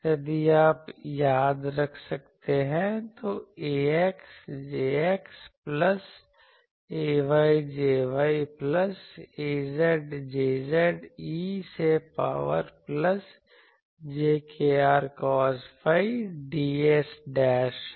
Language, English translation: Hindi, If you can remember, so, ax J x plus ay J y plus az J z e to the power plus jkr dashed cos phi ds dashed